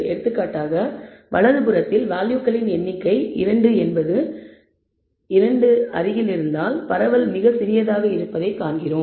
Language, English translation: Tamil, For example, in the right hand side we find that the residuals close to when the number of values is minus 2 is 2 is spread is very small